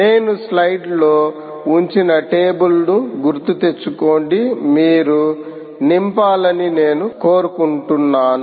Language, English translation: Telugu, recall the table i put in the slide where i want you to fill up